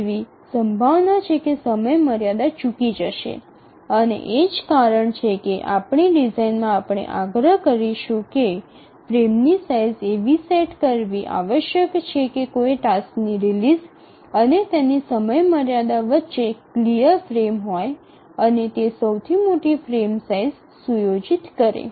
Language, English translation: Gujarati, And that is the reason why in our design we will insist that the frame size must be set such that there is a clear frame between the release of a task and its deadline and that sets the largest size of the frame